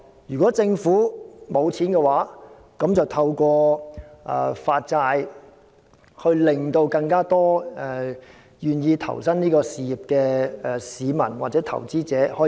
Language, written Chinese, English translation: Cantonese, 如果政府沒有資金，便可透過發債，讓更多願意投身這項事業的市民或投資者參與。, The Government may issue bonds if it is short of capital so as to engage more members of the public or investors who are willing to devote themselves to this cause